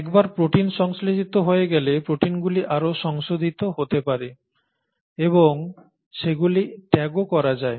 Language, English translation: Bengali, Now once the proteins have been synthesised, the proteins can get further modified and they can even be tagged